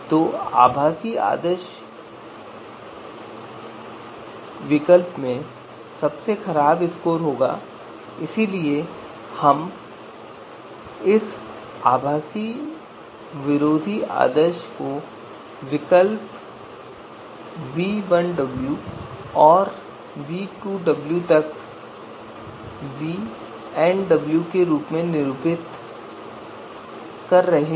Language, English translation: Hindi, So in the virtual anti ideal alternative will take the worst score and therefore we are denoting this virtual anti ideal alternative as v1w and v2w up to you know vnw